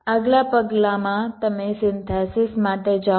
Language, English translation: Gujarati, in the next step you go for synthesis